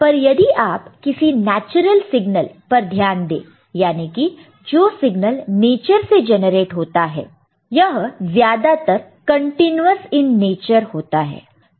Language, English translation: Hindi, But if you look at the natural signal, signals generated by the nature, that these they are mostly continuous in nature